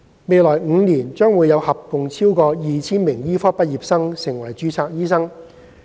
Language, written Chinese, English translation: Cantonese, 未來5年將會有合共超過 2,000 名醫科畢業生成為註冊醫生。, There will be a total of over 2 000 medical graduates becoming registered doctors in the coming five years